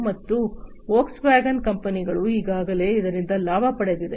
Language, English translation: Kannada, And companies like Volkswagen have already you know benefited out of it